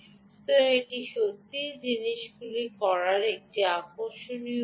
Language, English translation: Bengali, so that's really an interesting way of doing things